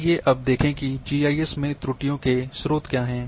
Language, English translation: Hindi, Let’s look what are the sources of errors in GIS